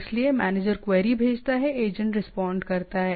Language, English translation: Hindi, So manager sends query agent responses